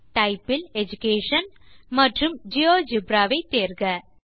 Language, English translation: Tamil, Under Type Choose Education and GeoGebra